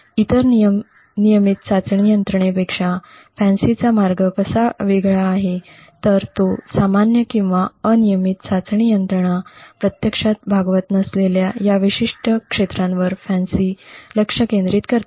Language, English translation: Marathi, The way FANCI actually differs from the other regular testing mechanisms is that FANCI focuses on this particular area which normal or regular testing mechanisms would not actually cater to